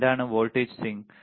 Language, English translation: Malayalam, What is voltage swing